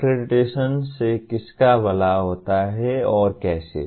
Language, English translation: Hindi, Who is benefited by accreditation and how